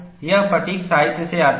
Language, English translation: Hindi, This comes from the fatigue literature